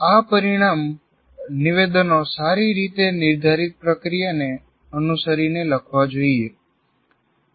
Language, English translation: Gujarati, These outcome statements should be written following a well defined process